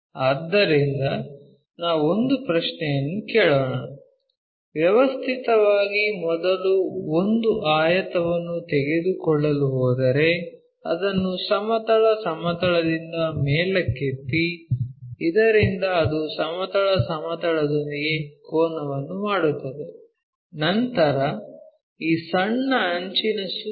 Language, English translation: Kannada, So, let us ask a question, systematically, if we are going to take a rectangle first lift it up from the horizontal plane, so that it makes an angle with the horizontal plane, then rotate around this small edge